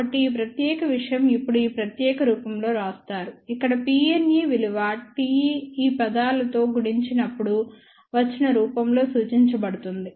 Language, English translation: Telugu, So, this particular thing is now further written in this particular form, where P n e is represented in the form of T e multiplied by these terms over here